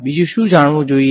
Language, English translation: Gujarati, What else should be known